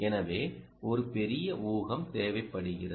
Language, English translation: Tamil, so there will be a huge amount of supposing